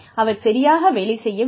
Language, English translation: Tamil, So, that does not work